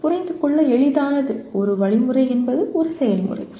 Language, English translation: Tamil, A easy to understand thing is an algorithm is a procedure